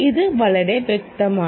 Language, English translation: Malayalam, this is very clear first